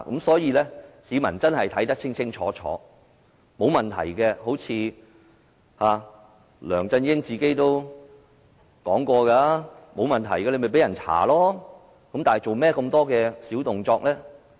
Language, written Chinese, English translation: Cantonese, 所以，市民真的要看清楚，梁振英也說過，如果沒有問題的話，便任由大家調查，為何要做那麼多小動作？, For this reason the public should really take a closer look . LEUNG Chun - ying said that if there were no problems inquiry could be conducted as desired . Why did he get up to such tricks?